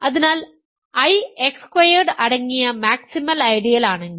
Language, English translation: Malayalam, So, if I is a maximal ideal containing X squared